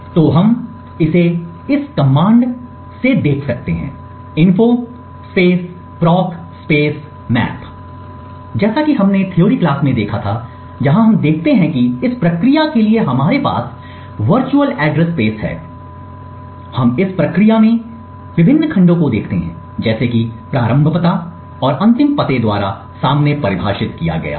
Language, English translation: Hindi, So we can see this by this info propmap command and what we look at over here as we seen in the theory is that we have the virtual address space for this process, we see the various segments in the process like which are defined front by the start address and the end address